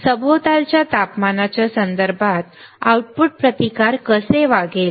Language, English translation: Marathi, How the output resistance will behave with respect to ambient temperature